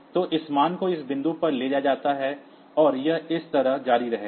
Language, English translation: Hindi, So, this value is carried over to this point, and it will continue like this